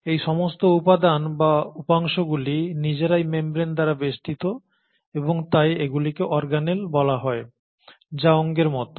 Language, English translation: Bengali, All these components or subdivisions in turn themselves are surrounded by membranes and hence they are called as organelles, which is organ like